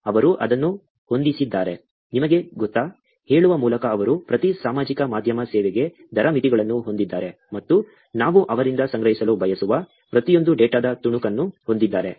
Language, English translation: Kannada, They have set it up, you know, by saying that, they have a rate limits for every social media service, and every piece of data that we want to collect from them